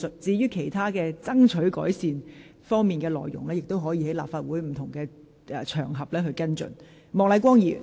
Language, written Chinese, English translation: Cantonese, 至於爭取當局作出改善的事宜，議員可在立法會其他場合跟進。, As regards improvements which Members wish to seek from the authorities they can follow them up on other occasions